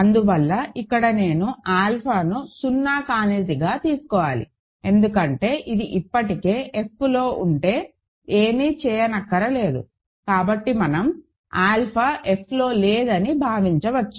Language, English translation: Telugu, Hence of course, here I should take alpha to be non zero because if it is already in F, there is nothing to do so we might as well assume that alpha is not an F